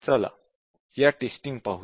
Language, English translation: Marathi, Let us look at these techniques